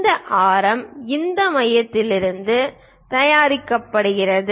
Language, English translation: Tamil, This radius is made from this center